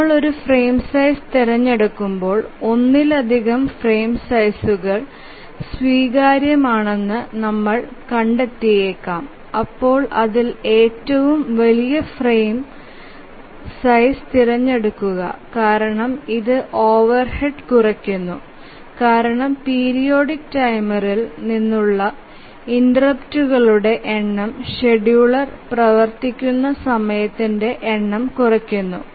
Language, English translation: Malayalam, As we try to select a frame size, we might find that multiple frame sizes are acceptable then we choose the largest frame size because that minimizes the overhead because the number of interrupts from the periodic timer become less, less number of time the scheduler runs